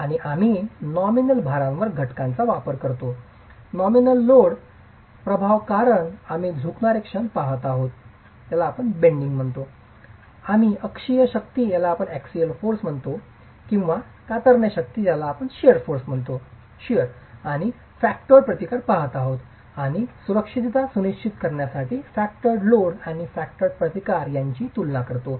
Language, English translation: Marathi, This is a nominal resistance of the material and a nominal expected definition of the load and we use factors on the nominal load, the nominal load effect because we are looking at bending moments, we're looking at axial forces or shear forces and the factored resistance and compare the factored load and the factored resistance to ensure safety